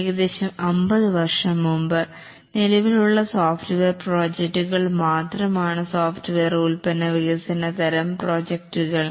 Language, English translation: Malayalam, About 50 years back, the only type of software projects that were existing were software product development type of projects